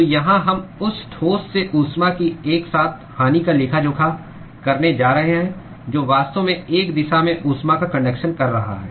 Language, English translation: Hindi, So, here we are going to account for simultaneous loss of heat from the solid which is actually conducting heat in one direction